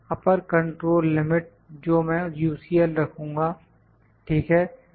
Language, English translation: Hindi, The upper control limit I will put it UCL, ok